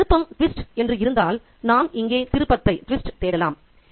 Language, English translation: Tamil, And if there is a twist, we might look for the twist here